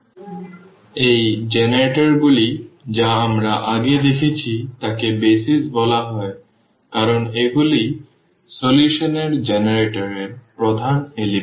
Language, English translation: Bengali, So, these generators which we have just seen before these are called the BASIS because these are the main component that generator of the solution